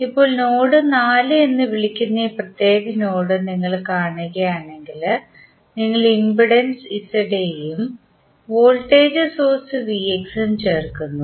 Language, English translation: Malayalam, Now, if you see for this particular node called node 4 you are joining the impedance Z A and the voltage source V X